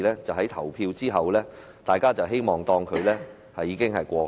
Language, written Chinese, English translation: Cantonese, 在投票後，大家便會當作這件事已經過去。, To date the situation remains the same and after the vote Members would think this matter is over and done with